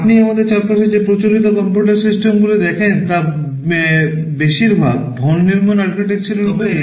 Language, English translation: Bengali, Most of the conventional computer systems that you see around us are based on Von Neumann architecture